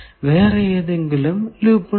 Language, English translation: Malayalam, Is there any loop